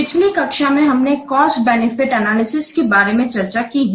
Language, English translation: Hindi, Last class we have discussed about the cost benefit analysis